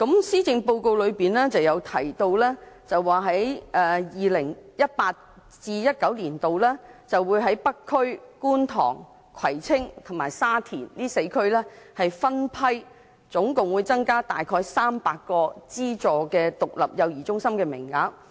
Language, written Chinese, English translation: Cantonese, 施政報告中提到 ，2018-2019 年度會在北區、觀塘、葵青和沙田4區分批增加合共約300個資助獨立幼兒中心名額。, The Policy Address mentioned that the Government will provide a total of about 300 additional places in aided standalone child care centres in the North District Kwun Tong Kwai Tsing and Sha Tin starting from 2018 - 2019